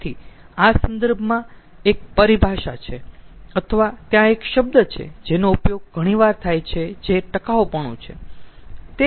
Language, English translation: Gujarati, so in this, in this regard, there is a terminology or there is a term which is very often used, that is sustainability